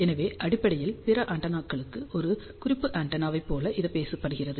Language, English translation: Tamil, So, this is basically speaking a reference antenna for the other antennas